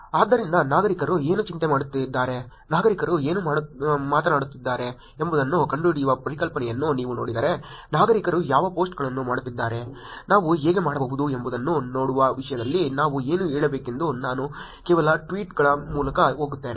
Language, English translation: Kannada, So, if you look at the concept of finding out what citizens are worried about, what citizens are talking about, I will go through some tweets what we so to say in terms of actually looking at what posts the citizens are doing, how we can actually take out some useful information from these posts